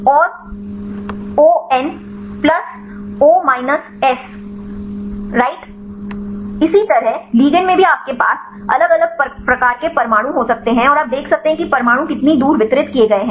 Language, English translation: Hindi, O N plus O minus S right likewise ligand also you can have the different, types of atoms and see how far the atoms are distributed